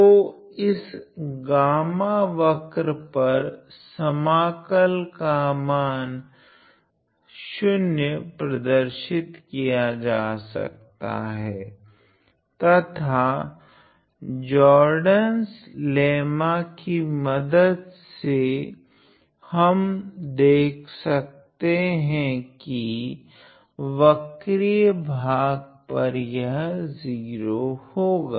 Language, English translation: Hindi, So, in short the integral over this curve gamma can be shown to be 0 and again this is via the direct application of Jordan’s lemma where we see that over the curved part this is 0